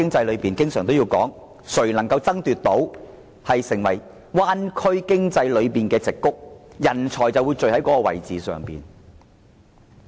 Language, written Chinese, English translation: Cantonese, 我們經常說，誰能成為灣區經濟中的矽谷，人才便會在那裏匯聚。, We often say that talents will converge in places considered to be the Silicon Valley of the Bay Area economy